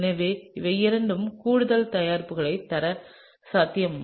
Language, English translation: Tamil, So, these are two additional products that are possible, right